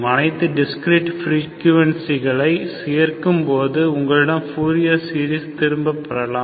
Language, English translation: Tamil, Combine all the discrete frequencies, you can get back your fourier series